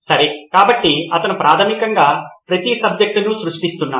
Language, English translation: Telugu, Okay so he is basically creating for each subject